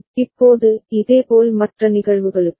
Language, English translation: Tamil, Now, similarly for the other cases